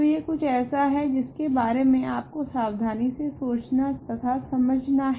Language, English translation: Hindi, So, this is something that you have to carefully think about and understand